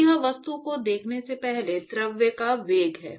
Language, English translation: Hindi, So, this is the velocity of the fluid before it sees the object